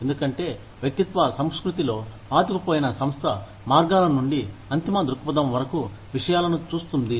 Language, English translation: Telugu, Because, an organization rooted in an individualistic culture, will look at things, from the means to an end perspective